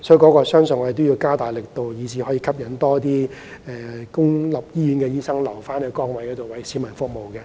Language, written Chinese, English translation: Cantonese, 我相信醫管局應加大力度，吸引更多公營醫院醫生留在崗位上，繼續為市民服務。, I believe that HA should step up its efforts to attract more public hospital doctors to remain in their posts and continue to serve the public